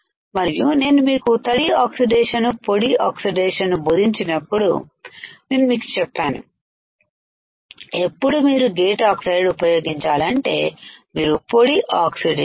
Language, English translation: Telugu, And when I was teaching you wet oxidation and dry oxidation, I told you that when you have to use gate oxide you have to use dry oxidation and when you have to use field oxide you have to use wet oxidation